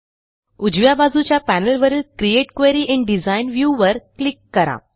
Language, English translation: Marathi, On the right panel, we will click on the Create Query in Design view